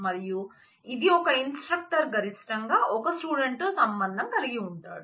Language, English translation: Telugu, And it also means that and an instructor is associated with at most student